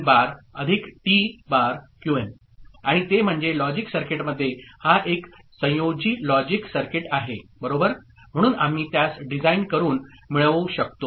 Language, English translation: Marathi, And that in the logic circuit this is a combinatorial logic circuit right, so we can get by designing it